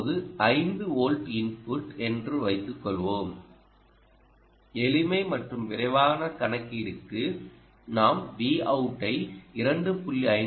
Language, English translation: Tamil, supposing you take input ah of five volts, ok, and for simplicity and quick computation i will take v out as two point five volts